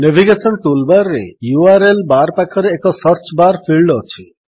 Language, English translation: Odia, Next to the URL bar on the navigation toolbar, there is a Search bar field